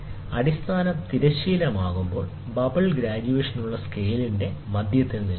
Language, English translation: Malayalam, When the base is horizontal, the bubble rests at the center of the graduated scale